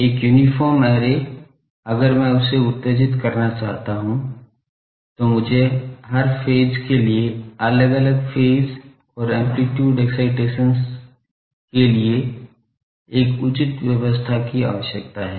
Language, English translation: Hindi, An uniform array, if I want to excide that I need to have a proper feeding arrangement, for every element with different phase and amplitude excitations as required